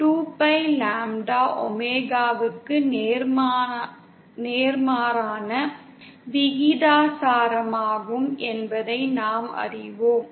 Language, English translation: Tamil, And we know that 2pi upon lambda is inversely proportional to omega